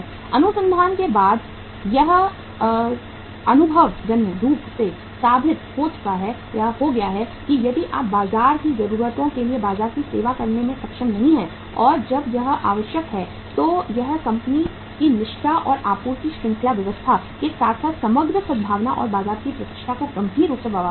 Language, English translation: Hindi, It has been empirically proved after research that if you are not able to serve the market for the needs of the market as and when it is required then it affects the company’s reputation and supply chain arrangements as well as overall goodwill and reputation of the market severely